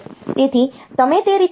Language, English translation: Gujarati, So, that way you can say that